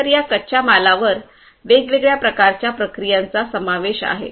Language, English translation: Marathi, So, these raw materials undergo different types of processing